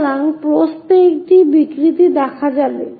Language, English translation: Bengali, So, a distortion in the width will be introduced